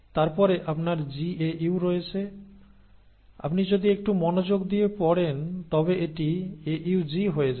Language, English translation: Bengali, Then you have GAU, but then if you read a little carefully this becomes AUG